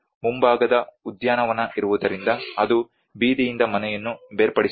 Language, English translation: Kannada, But because of we have the front garden which is detaching the house from the street